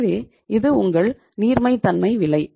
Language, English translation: Tamil, So this is the cost of your liquidity